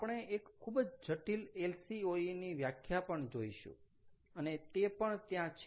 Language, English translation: Gujarati, we can look at a more complex definition of lcoe as well